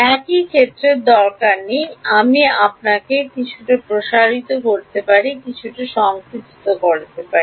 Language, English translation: Bengali, Need not have the same area, you can stretch your clay or compress your clay